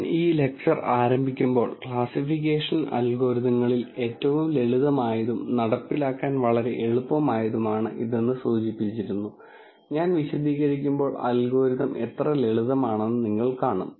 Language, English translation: Malayalam, As I started this lecture I mentioned it simplest of classification algorithms, very easy to implement and you will see when I explain the algorithm how simple it is